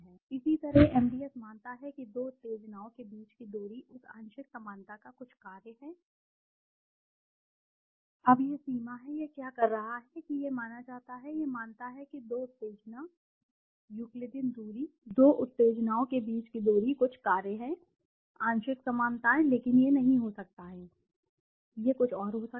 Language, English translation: Hindi, Similarly MDS assumes that the distance between two stimuli is some function of that partial similarities, now this is the limitation, what is it saying it assumed, it assumes that the two stimuli, Euclidean distance, the distance between the 2 stimuli is some function of the partial similarities, but it might not be, it might not be, it could be something else